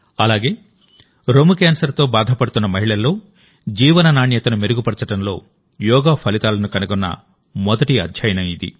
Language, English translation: Telugu, Also, this is the first study, in which yoga has been found to improve the quality of life in women affected by breast cancer